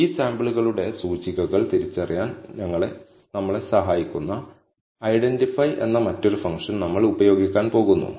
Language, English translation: Malayalam, We are going to use another function called identify, that will help us identify the indices of these samples